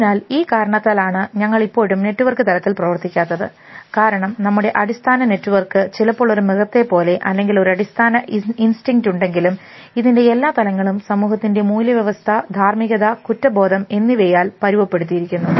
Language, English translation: Malayalam, So, just for these reason we still do not function at the network level because, over that basic network of being like a: animal like or having a basic instinct it has layers conditioned by society where value system, where morality, where guilt